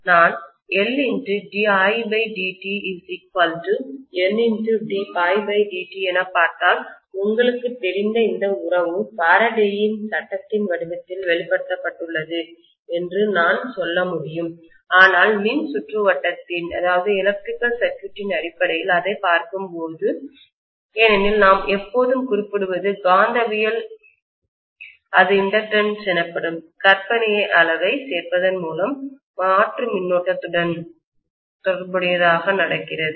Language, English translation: Tamil, I can say that if I look at L Di by Dt equal to N D phi by Dt, this is a you know relationship expressed in the form of Faraday’s law but when we look at it in terms of electrical circuit; because we always refer to the magnetism that is occurring associated with the alternating current by including a fictitious quantity called inductance